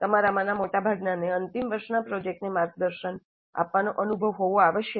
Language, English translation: Gujarati, Most of you must be having experience in mentoring the final year project